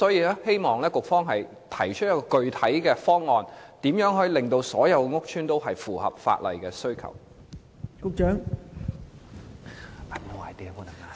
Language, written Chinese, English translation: Cantonese, 局方會否提出一個具體方案，令所有屋邨均符合法例要求？, Will the Secretary put forward a specific proposal to make all estates comply with the law?